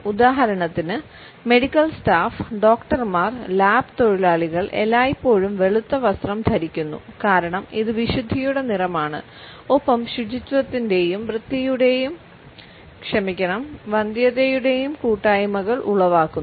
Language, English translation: Malayalam, For example, the medical staff, doctors, lab workers are always dressed in white because it imparts a sense of purity and also evokes associations of sanitation and sterility